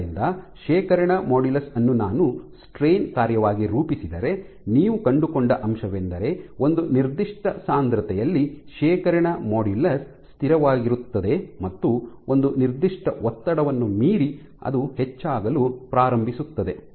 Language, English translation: Kannada, So, if I plot the storage modulus as a function of strain what you find is at a given concentration first your storage modulus is constant and beyond a certain strain it starts to increase